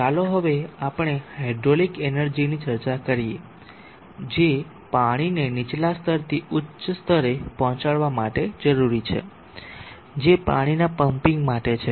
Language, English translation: Gujarati, Let us now discuss the hydraulic energy that is required for lifting water from a lower level to a higher level that is for pumping water